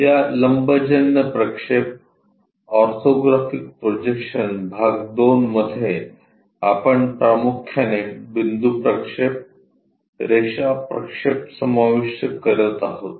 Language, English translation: Marathi, In these orthographic projections part 2, we are mainly covering point projections, line projections